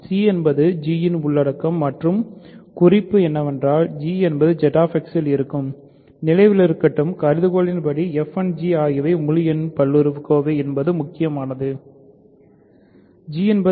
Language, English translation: Tamil, That means c is the content of f; content of g right; c is the content of g and note that g is actually in Z X, remember that is the hypothesis the crucial thing is f and g are both integer polynomials